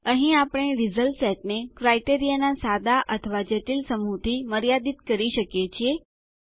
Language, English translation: Gujarati, This is where we can limit the result set to a simple or complex set of criteria